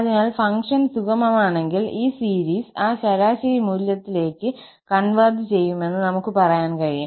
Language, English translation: Malayalam, So, we can say that if the function is piecewise smooth, then, this series will converge to that average value